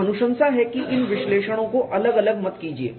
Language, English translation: Hindi, So, the recommendation is do not do these analysis separately